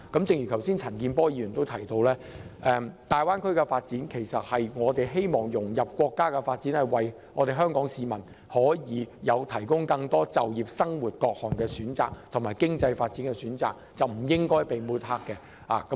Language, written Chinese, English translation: Cantonese, 正如陳健波議員剛才指出，香港參與大灣區建設，旨在融入國家的發展，為香港市民提供更多就業機會、生活環境及經濟發展的選擇，故此不應該遭到抹黑。, As pointed out by Mr CHAN Kin - por just now by participating in the construction of the Greater Bay Area Hong Kong seeks to integrate into the national development so as to provide Hong Kong people with more options in terms of job opportunities living environment and economic development . Hence the Greater Bay Area should never be smeared